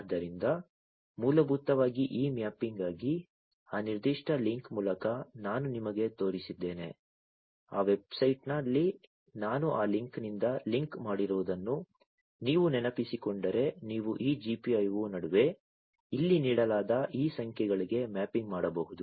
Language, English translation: Kannada, So, for that basically this mapping, that I had shown you through that particular link if you remember in that website that I had that linked to from that link you can get mapping between this GPIO to these numbers that are given over here